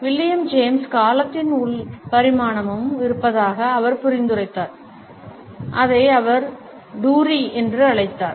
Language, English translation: Tamil, William James suggested that there is also an internal dimension of time which he called as ‘duree’